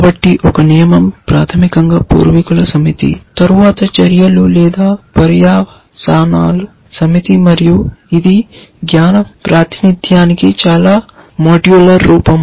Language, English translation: Telugu, So, a rule is basically a set of antecedents followed by a set of actions or consequents and it is a very modular form of knowledge representation